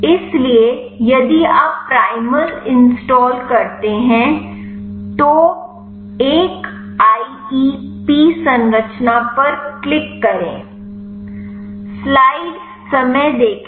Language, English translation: Hindi, So, if you install primal then click 1IEP structure